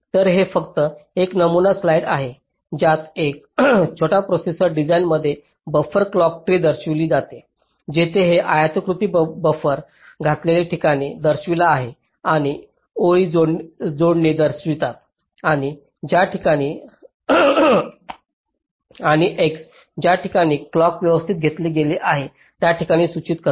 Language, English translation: Marathi, so this is just a sample slide showing a buffered clock tree in a small processor design, where this rectangles indicate the places where buffers have been inserted, ok, and the lines indicate the connections and the x indicates the points where the clock has been taken